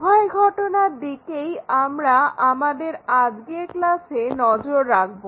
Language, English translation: Bengali, Both the cases we will try to look at that in our today's class